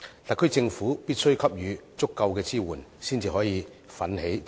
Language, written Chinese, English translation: Cantonese, 特區政府必須給予足夠支援，才可以奮起直追。, It is necessary for the SAR Government to provide sufficient support before we can rouse ourselves to catch up